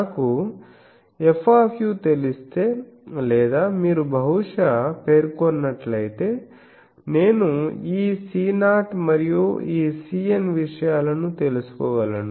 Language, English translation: Telugu, So, if I know F u or if you probably specified, I can find out this C 0 and this C n things